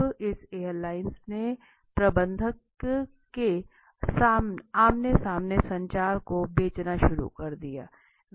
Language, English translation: Hindi, So airline is now this airlines started selling to the manager’s face to face communications, okay